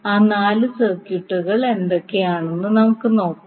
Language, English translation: Malayalam, Let us see what are those four circuits